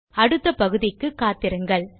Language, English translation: Tamil, So join me in the next part